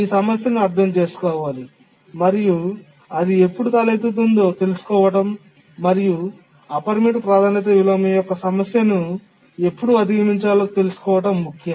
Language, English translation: Telugu, Must understand what this problem is, when does it arise and how to overcome the problem of unbounded priority inversion